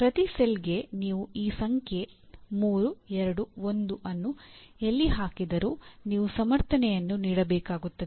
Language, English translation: Kannada, For each cell wherever you put this number 3, 2, 1 you have to give a you have to write a justification